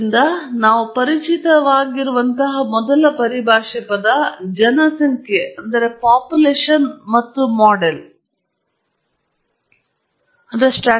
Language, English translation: Kannada, So, the first terminology that we have to be familiar with is the term population and sample